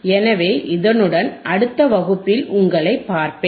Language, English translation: Tamil, So, with that, I will see you in the next class